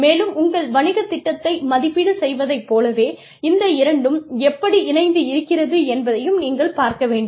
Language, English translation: Tamil, And, just like you evaluate your business plan, you also need to see, how these two, inter twine